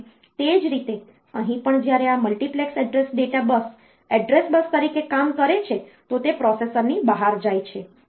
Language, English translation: Gujarati, And similarly, here also this when this multiplexed address data bus acts as address bus, then it is going outside going out of the processor